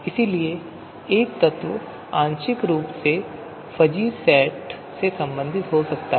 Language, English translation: Hindi, So therefore, an element may partially belong to a fuzzy set